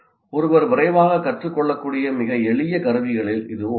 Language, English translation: Tamil, And it's one of the very simple tools that one can quickly learn and use